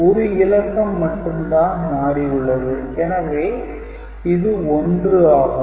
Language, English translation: Tamil, And just 1 bit is changing, so it has become 1, right